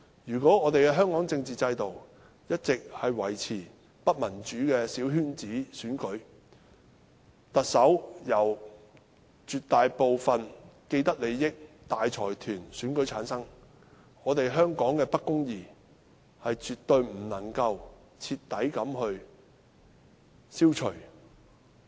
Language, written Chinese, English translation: Cantonese, 如果香港的政治制度一直維持不民主的小圈子選舉，特首由絕大部分既得利益者和大財團選出，香港的不公義絕對無法徹底消除。, So long as the political system in Hong Kong retains the undemocratic coterie election with the Chief Executive being selected by the majority of vested interests and large consortiums there will be no way to eradicate injustices in Hong Kong